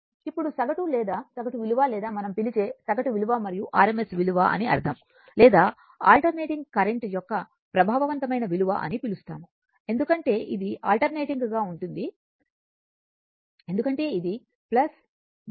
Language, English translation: Telugu, Now, we will come to mean value that is average or mean average value or mean value we call and RMS value or we call effective value of an alternating current because it is alternating because it is moving plus minus plus minus